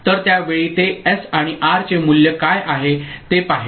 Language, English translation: Marathi, So, at that time it will see what is the value of S and R